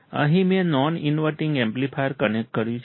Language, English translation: Gujarati, Here I have connected a non inverting amplifier